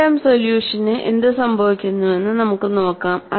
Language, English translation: Malayalam, Let us look at what happens to three term solution